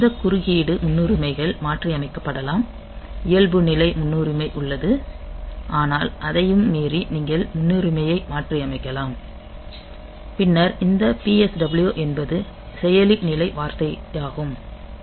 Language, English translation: Tamil, So, that way we have got a number of sources of interrupts and these interrupt priorities can be modified there is a default priority, but beyond that you can also modify the priority then this PSW is the processor status word